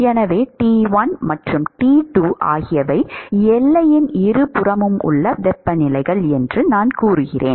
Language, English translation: Tamil, So, supposing I say that T1 and T2 are the temperatures at the either side of the boundary